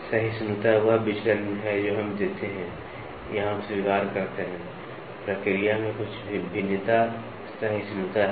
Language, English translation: Hindi, Tolerance is the deviation which we give or we accept, some variation in the process is tolerance